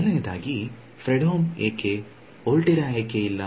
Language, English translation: Kannada, So, first of all Fredholm why, why not Volterra